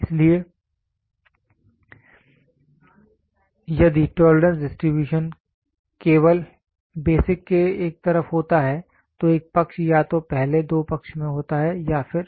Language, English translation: Hindi, So, if when the tolerance distribution is only on one side of the basic, one side either in the first two side or the